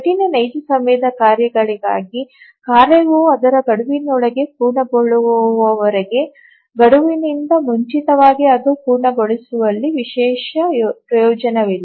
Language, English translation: Kannada, For hard real time tasks, as long as the task completes within its deadline, there is no special advantage in completing it any earlier than the deadline